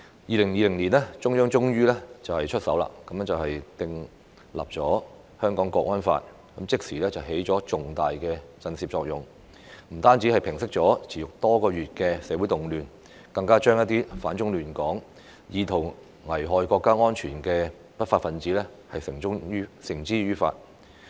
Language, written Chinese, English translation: Cantonese, 2020年，中央政府終於出手訂立《香港國安法》，即時起了重大的震懾作用，不但平息了持續多月的社會動亂，更將一些反中亂港、意圖危害國家安全的不法分子繩之於法。, In 2020 the Central Government finally stepped in to enact the Hong Kong National Security Law which immediately produced a formidable deterrent effect . It not only quelled the months of social unrest but also brought to justice lawbreakers who opposed China and stirred up trouble in Hong Kong with intent to endanger national security . However there were still loopholes in the electoral system of SAR